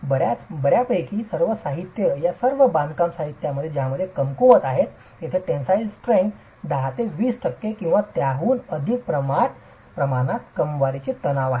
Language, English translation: Marathi, So, fairly all materials, all these construction materials which are weak intention would have a tensile strength of the order of 10 to 20 percent or slightly higher